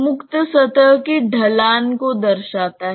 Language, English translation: Hindi, It represents the slope of the free surface